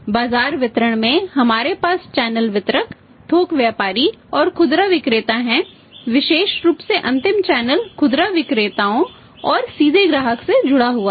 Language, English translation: Hindi, See in the market distribution channel distributors, wholesaler and retailer especially retailers the last channel and directly connected to the customer